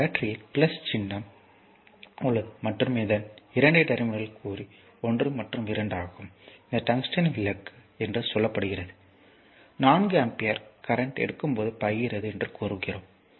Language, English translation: Tamil, There is a battery, this is plus symbol, minus symbol and this is your 2 terminals are mark 1 and 2 right and this is your say tungsten lamp, this is a lamp and when you take the 4 ampere current says flowing say 4 ampere current is flowing